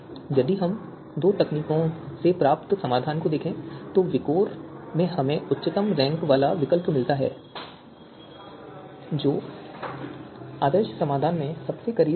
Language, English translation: Hindi, If we look at the solution that are obtained from these two techniques VIKOR we get the highest ranked alternative which is closest to the ideal solution